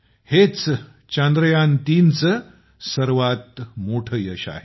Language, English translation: Marathi, This is the biggest success of Chandrayaan3